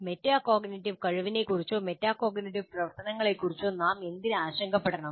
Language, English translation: Malayalam, And why should we be concerned about metacognitive ability or metacognitive activities